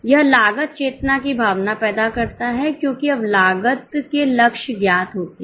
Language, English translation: Hindi, It inculcates a feeling of cost consciousness because now the targets of costs are known